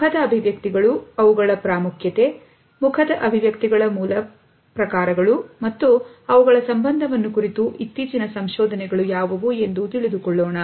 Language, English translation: Kannada, In this module, we would look at the facial expressions, what is their importance, what are the basic types of facial expressions, and also, what is the latest research which is going on in this direction